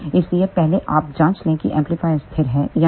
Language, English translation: Hindi, So, first you check whether the amplifier is stable or not